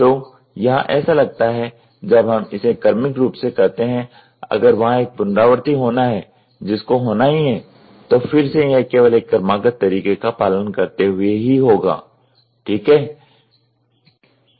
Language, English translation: Hindi, So, here it looks like so, when we do it sequentially if there has to be an iteration which has to happen then again it follows only a sequential manner, ok